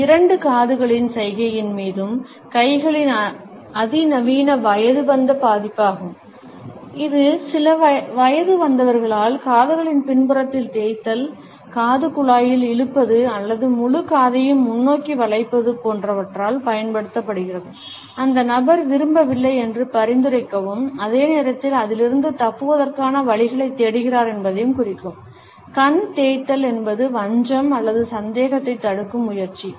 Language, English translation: Tamil, This is a sophisticated adult version of the hands over both ears gesture, used by those children who are being represented by some adult rubbing the back of the ear, pulling at the earlobe or bending the entire ear forward, suggest the person does not want to listen to what is being said and at the same time is looking for certain excuses, which can be passed on